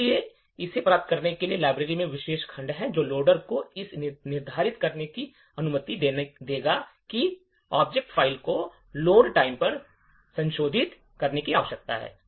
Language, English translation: Hindi, So, in order to achieve this there is special section in the library which will permit the loader to determine which locations the object file need to be modified at the load time